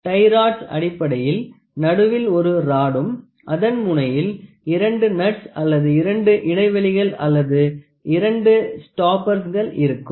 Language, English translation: Tamil, Tie rods are basically there is a rod in between and the extreme ends you have two nuts or two spaces or two stoppers